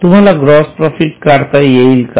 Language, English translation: Marathi, Are you able to calculate the gross profit